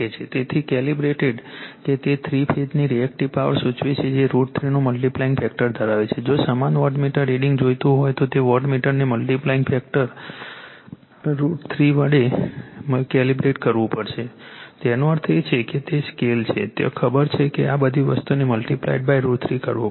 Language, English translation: Gujarati, So, calibrated that it indicates three phase Reactive Power by having a , multiplication factor of root 3 , that if you want same wattmeter reading , that wattmeter has to be calibrated , by multiplying factor root three; that means, that is the scale is there know , that those all this thing has to be multiplied by root 3